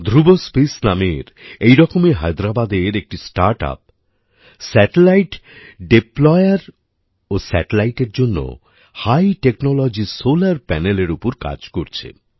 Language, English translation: Bengali, Similarly, Dhruva Space, another StartUp of Hyderabad, is working on High Technology Solar Panels for Satellite Deployer and Satellites